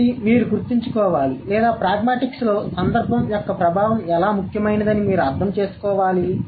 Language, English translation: Telugu, So, this is what you need to remember or you need to understand that influence of context is very important in pragmatics